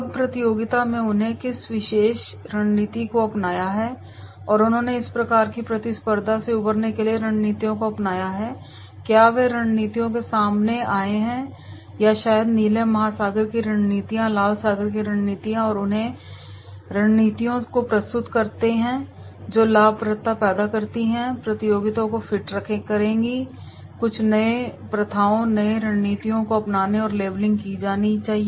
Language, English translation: Hindi, Now in the competition what particular strategy they have adopted or have they adopted the strategies to overcome this type of competition, have they come out with strategies or maybe the blue ocean strategies, red ocean strategies those strategies which will create the profitability or fit the competition by adopting certain new practices, new strategies and that is also to be labelling is to be done